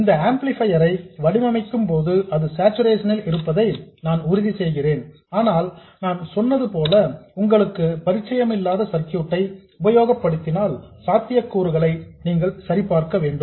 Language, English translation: Tamil, While designing this amplifier I had made sure that it is in saturation but like I said if you come across an unfamiliar circuit you have to check for the possibility